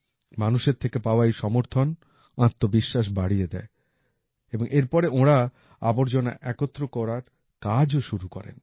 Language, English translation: Bengali, The confidence of the team increased with the support received from the people, after which they also embarked upon the task of collecting garbage